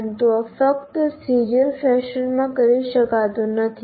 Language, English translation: Gujarati, But this itself cannot be done in just in a serial fashion